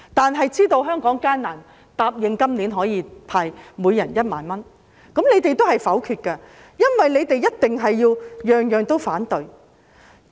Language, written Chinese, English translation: Cantonese, 政府知道香港艱難，答應今年向每人派發1萬元，但你們同樣會否決預算案，因為你們一定事事也反對。, The Government knows that Hong Kong is facing a difficult time and promises to distribute 10,000 to everyone this year . However you still try to negative the Bill because you must say no to everything